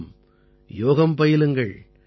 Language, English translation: Tamil, Certainly do yoga